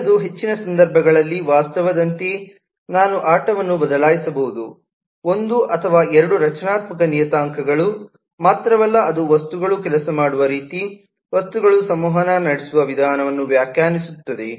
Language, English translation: Kannada, the next is often okay, i can change the game as is the reality in most cases, that it is not only one or two structural parameters that define the way objects will work, the way objects will interact